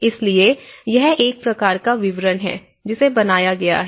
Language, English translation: Hindi, So, this is a kind of detail it has been implemented